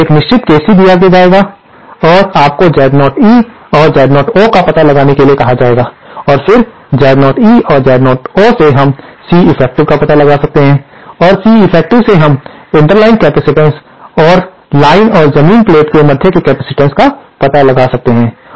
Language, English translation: Hindi, You will be given a certain KC and you will be asked to find out Z0 E and Z0 O and then from Z0 E and Z0 O, we can find out the C effective and from C effective we can find out the interline capacitance and the capacitance between the line and the ground plane and from there we can completely design our system